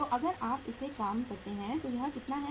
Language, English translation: Hindi, So if you work it out this works out how much